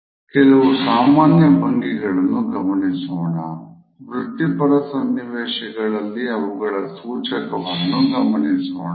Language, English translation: Kannada, Let us look at some commonly found postures and what do they signify in professional circumstances